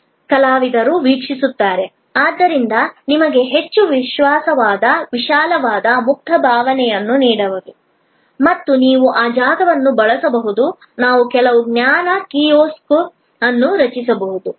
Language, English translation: Kannada, This is that artists view, which can therefore, be give you a much more wide open feeling and you could use that space, then create some of this knowledge kiosk so on